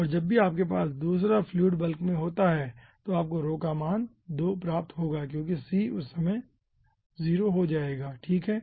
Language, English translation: Hindi, and whenever you are in the bulk of 2 second fluid, then you will be getting that this value of rho will be taking rho2 because c will be at that time becoming 0